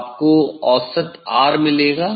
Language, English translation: Hindi, you will get mean R